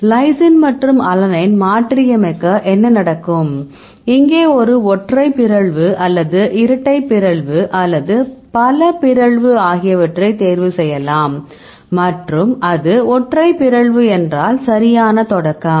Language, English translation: Tamil, So, I can lysine and alanine, what will happened to mutate this one and, here you can choose where a single mutation, or double mutation, or the multiple mutation and if it is single mutation and if you start right